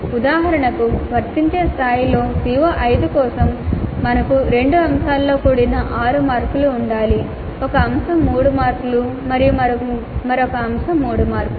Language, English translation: Telugu, For example for CO5 at apply level we need to have 6 marks that is made up of 2 items, 1 item of 3 marks and another item of three marks